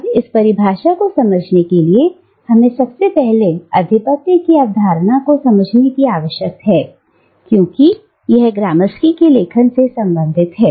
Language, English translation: Hindi, Now, to understand this definition, we need to first comprehend the notion of hegemony as it operates in the writings of Gramsci